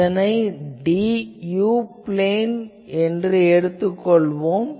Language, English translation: Tamil, Now, as before, we generally go to the u plane